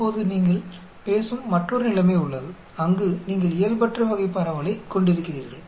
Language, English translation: Tamil, Now there is another situation where you are talking, where you are having non normal type of distribution